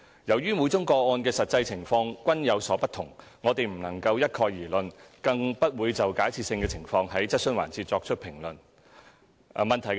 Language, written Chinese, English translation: Cantonese, 由於每宗個案的實際情況均有所不同，我們不能一概而論，更不會就假設性的情況在質詢環節作出評論。, As each case has its own different actual circumstances it is impossible for us to generalize let alone comment on hypothetical circumstances in this question - and - answer session